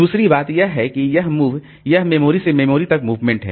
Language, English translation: Hindi, Second thing is that so this move, so this is that there is a memory to memory movement